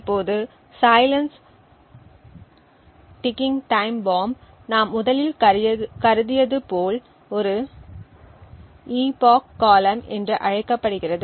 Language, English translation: Tamil, Now in order to silence ticking time bomb what we first assume is something known as an epoch duration